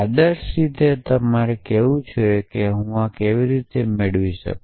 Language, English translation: Gujarati, So, ideally I should say how would I get this